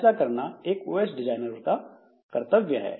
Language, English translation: Hindi, So that is the duty of the OS designer